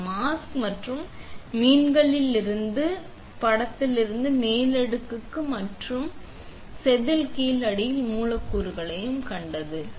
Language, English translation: Tamil, This is the image overlay from the mask and these fishes right here seen it then the bottom substrate of your wafer